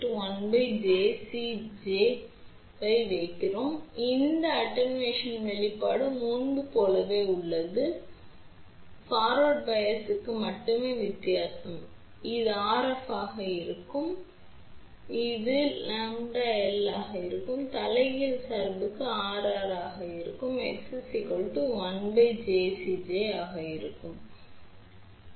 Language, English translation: Tamil, So, attenuation expression is exactly same as before only difference is for forward bias this will be R f and this will be omega L, for reverse bias this will be R r and this will be 1 divided by omega C j